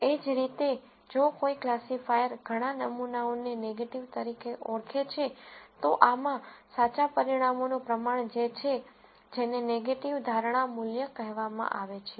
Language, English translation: Gujarati, Similarly, if a classifier identifies several samples as negative, the proportion of correct results within this is what is called negative prediction value